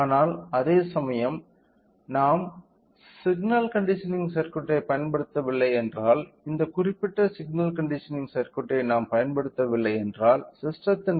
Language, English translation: Tamil, But whereas, if we are not using the signal conditioning circuit if we are not using this particular signal conditioning circuit then the resolution of the system is 3